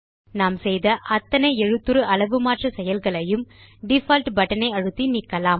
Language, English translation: Tamil, We can also use the Default button to undo all the font size changes we made